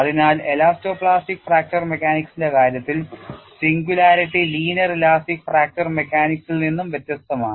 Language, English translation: Malayalam, So, the kind of singularity in the case of elasto plastic fracture mechanics is different from linear elastic fracture mechanics